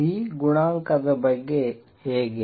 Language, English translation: Kannada, How about B coefficient